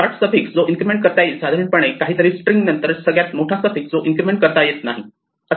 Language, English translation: Marathi, The shortest suffix that can be incremented consists of something followed by the longest suffix cannot be incremented